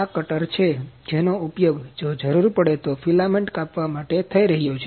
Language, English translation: Gujarati, This is the cutter that is being used to cut the filament if required